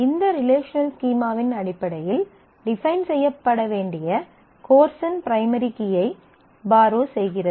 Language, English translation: Tamil, Course borrows the primary key of the course to be defined in terms of this relational schema